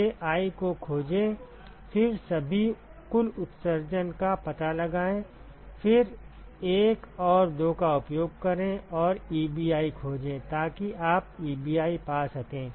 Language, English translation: Hindi, Find Ji then find all the total emissivity, then use 1 and 2 and find Ebi, so you can find Ebi